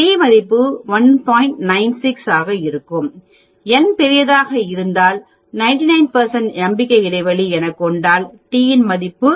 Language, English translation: Tamil, So generally, if n is large 95 percent confidence interval t value will be 1